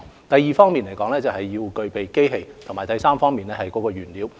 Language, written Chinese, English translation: Cantonese, 第二要具備機器，以及第三要有原材料。, Machinery and raw materials are the second and third prerequisites